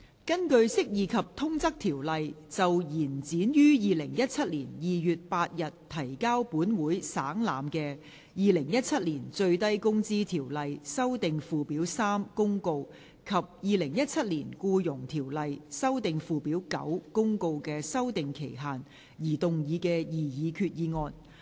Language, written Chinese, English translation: Cantonese, 根據《釋義及通則條例》就延展於2017年2月8日提交本會省覽的《2017年最低工資條例公告》及《2017年僱傭條例公告》的修訂期限而動議的擬議決議案。, Proposed resolution under the Interpretation and General Clauses Ordinance to extend the period for amending the Minimum Wage Ordinance Notice 2017 and the Employment Ordinance Notice 2017 which were laid on the Table of this Council on 8 February 2017